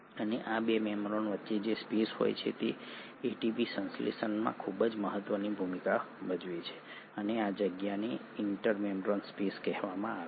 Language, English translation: Gujarati, And the space which is present between these 2 membranes play a very important role in ATP synthesis and this space is called as the inter membrane space